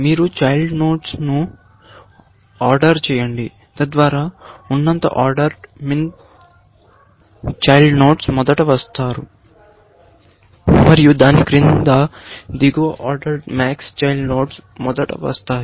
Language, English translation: Telugu, You order the children, so that, the higher order min children come first, and below that, the lower order max children come first